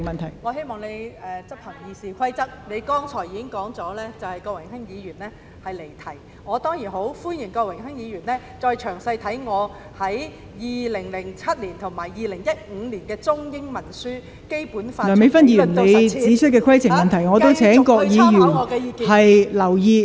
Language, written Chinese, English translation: Cantonese, 我希望代理主席執行《議事規則》，你剛才已經指出郭榮鏗議員離題，我當然很歡迎他詳細閱讀我在2007年及2015年出版的中英文書籍《香港基本法：從理論到實踐》，繼續參考我的意見。, I wish to ask Deputy President to enforce the Rules of Procedure . You have already pointed out just now that Mr Dennis KWOK strayed from the subject . I certainly welcome him to pore over my book Hong Kong Basic Law From Theory to Practice published in 2007 and 2015 in both Chinese and English and continue to take my views as reference